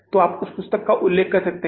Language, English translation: Hindi, So you can refer to that book